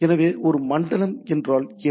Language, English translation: Tamil, So, what is a zone